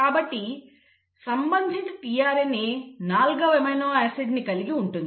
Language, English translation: Telugu, And each tRNA will then bring in the respective amino acid